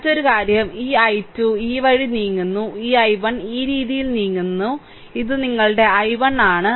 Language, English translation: Malayalam, Another thing is this i i 2 is moving this way; and this i 1 is moving this way this is your i 1